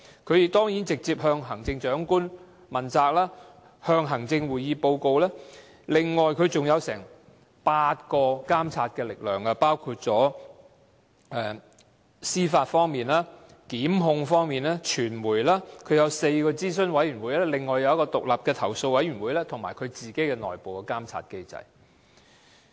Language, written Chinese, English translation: Cantonese, 廉署當然直接向行政長官負責，要向行政會議作出報告，另外還有接近8種監察力量，包括司法方面、檢控方面、傳媒，它有4個諮詢委員會，另外有一個獨立的投訴委員會，以及有自己的內部監察機制。, Of course ICAC is directly accountable to the Chief Executive and has to report to the Executive Council on its work . Besides there are nearly eight types of checks and balances which include an independent judiciary separate power of prosecution and the media . There are also four advisory committees an independent complaints committee and an internal monitoring mechanism